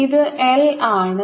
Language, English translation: Malayalam, this is r